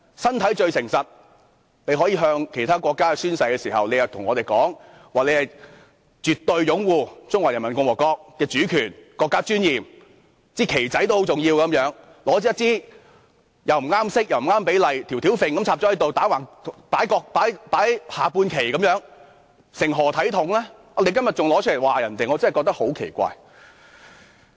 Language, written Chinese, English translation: Cantonese, 身體是最誠實的，他們可以向其他國家宣誓，但卻告訴我們絕對擁護中華人民共和國的主權和國家尊嚴，說一面小國旗也是很重要的，然後便拿着一面顏色不對、比例不對的國旗，"吊吊揈"地插在這裏，像下半旗般橫躺在此，究竟成何體統呢？, They could pledge to another country then tell us that they absolutely support the sovereignty and dignity of the Peoples Republic of China . They said that a tiny flag is very important then placed a national flag of the wrong colour and proportions here horizontally letting it dangle like at half - mast . What impropriety it is?